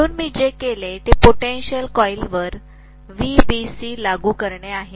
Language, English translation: Marathi, So what I have done is to apply VBC to the potential coil